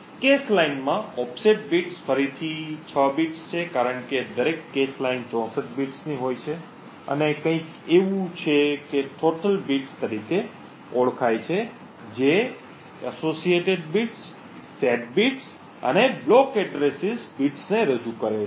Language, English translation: Gujarati, The offset bits within a cache line is again 6 bits because each cache line is of 64 bits and something known as total bits which represents the associated bits, set bits and block address bits